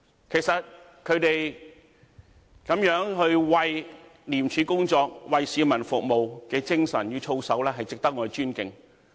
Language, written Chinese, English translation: Cantonese, 其實，他們這樣為廉署工作、為市民服務的精神與操守，值得我們尊敬。, In fact in view of the way they have served the public and they have maintained the integrity throughout their career with ICAC they really deserve our respect